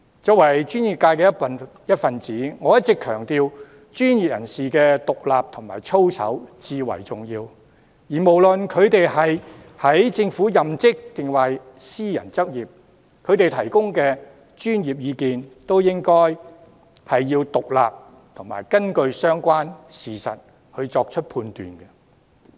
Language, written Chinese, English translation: Cantonese, 作為專業界的一分子，我一直強調專業人士的獨立和操守至為重要，無論他們是任職政府抑或私人執業，他們提供的專業意見都應該是獨立和根據相關事實作出的判斷。, As a member of the professional sector I always highlight the paramount importance of professional independence and conduct . It does not matter whether the professionals are practising in the public or the private sector the professional advice they give should be independent and evidence - based